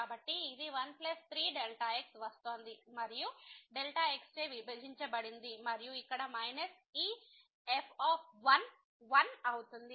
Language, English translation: Telugu, So, it was 1 plus 3 was coming and divided by and then here minus this is 1